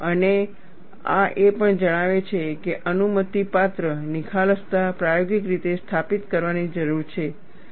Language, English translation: Gujarati, And this also states that, permissible bluntness needs to be established experimentally